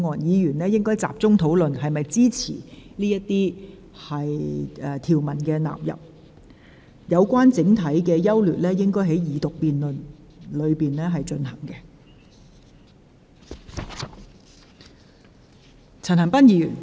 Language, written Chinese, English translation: Cantonese, 委員應集中討論是否支持納入這些條文及附表；至於《條例草案》的整體優劣，則應在二讀辯論時討論。, Members should focus their discussions on whether they support the inclusion of the aforesaid clauses and Schedules in the Bill . Discussion on the general merits of the Bill should be conducted during the Second Reading debate instead